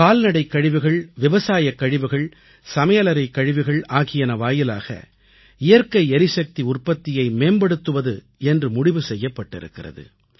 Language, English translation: Tamil, A target has been set to use cattle dung, agricultural waste, kitchen waste to produce Bio gas based energy